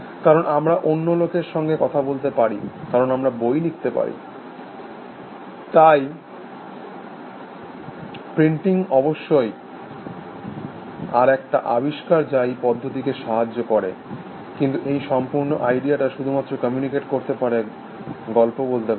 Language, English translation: Bengali, Because, we can talk to other people, because we can write books, so printing of course, was another invention which help this process, but this simply be able to communicate, to tell stories, this whole idea ((Refer Time